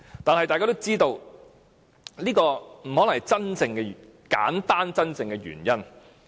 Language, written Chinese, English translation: Cantonese, 但是，大家都知道這不可能是簡單真正的原因。, However we all know that the real reason may not be so simple